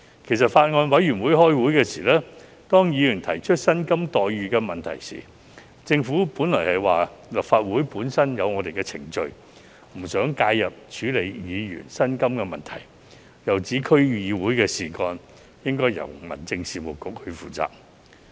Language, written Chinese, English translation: Cantonese, 其實，在法案委員會會議期間，當議員提出薪酬待遇問題時，政府本來表示立法會本身有既定程序，不想介入處理議員的薪酬問題，又指區議會事宜應由民政事務局負責。, In fact when Members raised the remuneration issue at a Bills Committee meeting the Government originally said that it did not want to interfere with Members remuneration issue as the Legislative Council had its own established procedures and indicated that matters of DCs should be handled by the Home Affairs Bureau